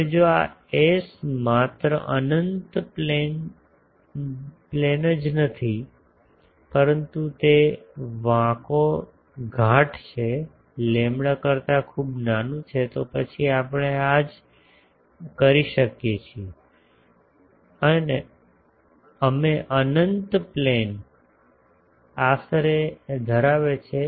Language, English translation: Gujarati, Now, if this S is not only infinite plane, but it is curvature is much smaller than the lambda then we can have these same we can infinite plane approximation holds